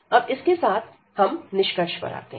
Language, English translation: Hindi, So, having this now we go to the conclusion now